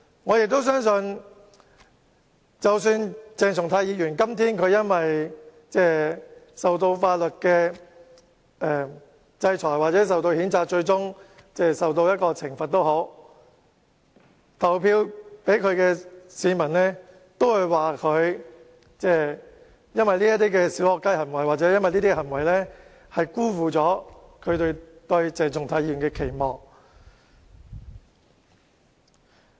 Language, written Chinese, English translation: Cantonese, 我亦相信，鄭松泰議員今天無論因法律制裁或譴責而最終受到懲罰，投票給他的市民都會說他的"小學雞"行為辜負了他們對鄭松泰議員的期望。, I also believe that if Dr CHENG Chung - tai is punished ultimately be it by the law or by the censure today people who have voted for him will say that his puerile behaviour has failed to live up to their expectations on him